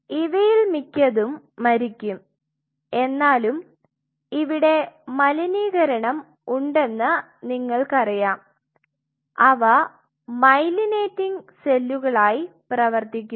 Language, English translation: Malayalam, Which most of them die dies out, but you know you will still have contaminants which are functioned as myelinating cells